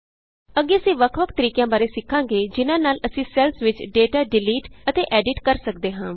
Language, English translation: Punjabi, Next we will learn about different ways in which we can delete and edit data in the cells